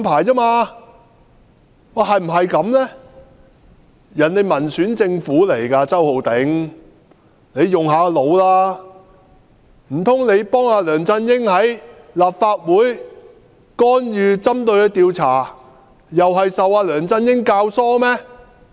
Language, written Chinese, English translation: Cantonese, 台灣政府是民選政府，周浩鼎議員，請你動動腦筋，難道你幫梁振英在立法會干預調查，又是受到梁振英教唆嗎？, The Taiwan Government is an elected government . Mr Holden CHOW please think about this Were you instigated by LEUNG Chun - ying to help him interfere with the investigation of the Legislative Council?